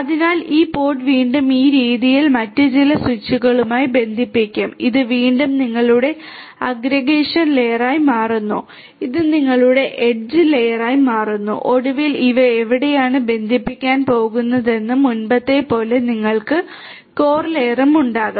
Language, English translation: Malayalam, So, this pod will again be connected to some other switches in this manner and again this becomes your aggregation layer, this becomes your edge layer and finally, you will have also the core layer like before where these are going to connect